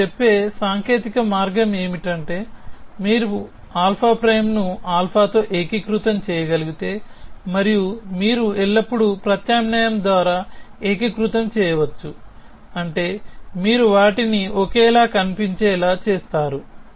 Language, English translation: Telugu, So, the technical way of saying that is if you can unify alpha prime with alpha and you can always unify by means of a substitution, which means you make them look the same